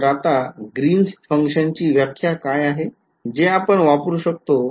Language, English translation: Marathi, So now, what is the definition of Green’s function now that we will that we can use